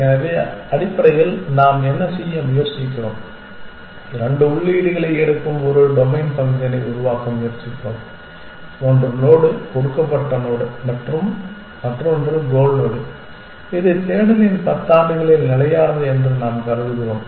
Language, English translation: Tamil, So, essentially what are we trying to do we are trying to devise a domain function which takes two inputs one is the node given node and the other is the goal node which we assume the during the ten year of the search is constant